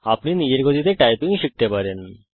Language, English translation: Bengali, You can learn typing at your own pace